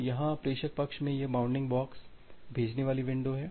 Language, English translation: Hindi, So, here in the sender side so, this bounding box is the sending window